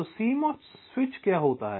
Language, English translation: Hindi, so what is a cmos switch